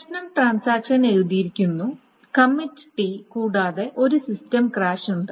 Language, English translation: Malayalam, The issue is the transaction has written committee and there is a system crash